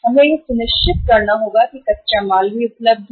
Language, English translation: Hindi, We have to make sure that raw material is also available